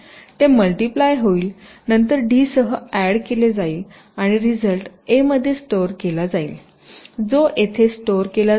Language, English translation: Marathi, they would get multiplied, then added with d and the result will be stored in a, which again would be stored here